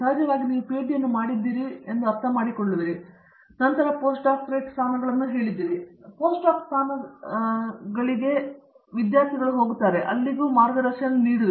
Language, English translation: Kannada, Of course, see you have of course, come up as I mean you have also done a PhD and then you have done several postdoc positions and then helps several postdoc positions and of course, you know guided many students by this time